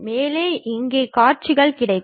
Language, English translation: Tamil, And there will be views available here